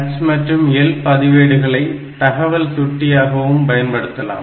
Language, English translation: Tamil, And H and L they can be used as data pointer